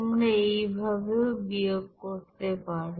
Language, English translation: Bengali, You can subtract it here like this also